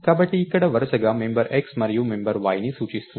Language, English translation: Telugu, So, it looking at the member x and member y here respectively